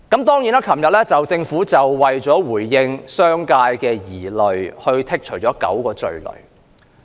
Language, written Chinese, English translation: Cantonese, 昨天，政府為了回應商界的疑慮，剔走9項罪類。, Yesterday to address the concerns of the business sector the Government removed nine items of offences